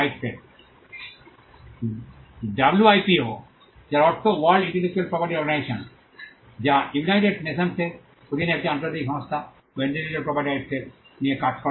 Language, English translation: Bengali, The WIPO, which stands for World Intellectual Property Organization, which is an international organization under the United Nations which deals with intellectual property rights